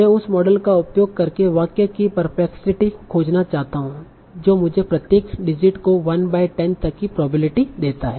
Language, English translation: Hindi, Now I want to find a perplexity of this sentence using that model that will give me a probability of 1 by 10 to each digit